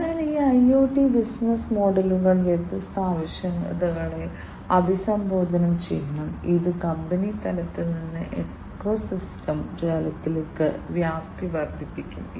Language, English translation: Malayalam, So, these IoT business models must address different requirements, this would extend the scope beyond in the company level to the ecosystem level